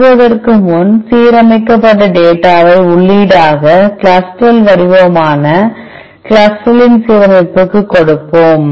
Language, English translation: Tamil, To begin with let us give the data input which is a aligned CLUSTAL form CLUSTAL’s alignment